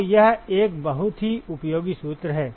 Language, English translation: Hindi, So, that is a very very useful formula